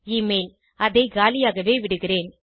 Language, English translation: Tamil, Email– Lets leave it blank